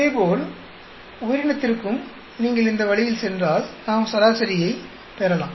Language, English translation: Tamil, Similarly, for organism also we can get an average if you go this way